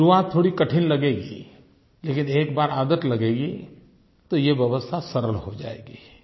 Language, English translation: Hindi, In the beginning it may appear to be a bit difficult, but once we get used to it, then this arrangement will seem very easy for us